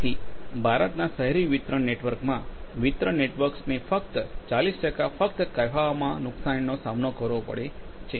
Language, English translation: Gujarati, So, in India the urban distribution network, distribution networks only faces losses of the order of say 40 percent